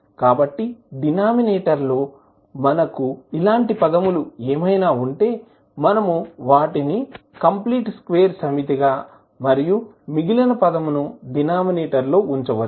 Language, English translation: Telugu, So, whatever we have in the denominator, we can represent them as set of complete square plus remainder of the term which are there in the denominator